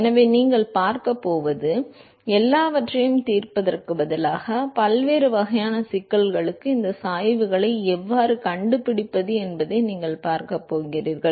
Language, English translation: Tamil, So, what you going to see is instead of solving everything, you are going to see how to find these gradients for various kinds of problems